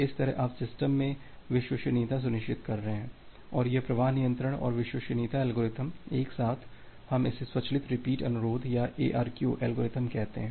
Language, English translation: Hindi, So, that way you are also ensuring reliability in the system and this flow control and reliability algorithm all together, we call it as a automatic repeat request or ARQ algorithms